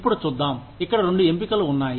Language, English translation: Telugu, Now, let us see, there are two options here